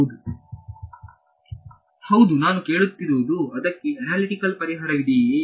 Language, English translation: Kannada, Yeah, what I am asking is does it have an analytic solution